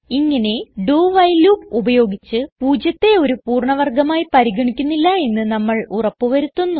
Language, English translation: Malayalam, This way, by using a do while loop, we make sure that 0 is not considered as a perfect square